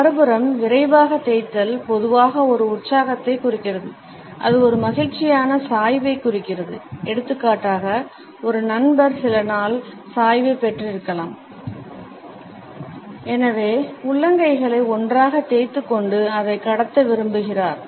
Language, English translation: Tamil, On the other hand a quick rub normally indicates an enthusiasm, a pleasure a happy tilting, for example, a friend might have received some good tilting and therefore, would like to pass it on with rubbing palms together